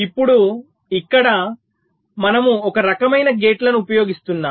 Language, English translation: Telugu, now here we are using some kind of gates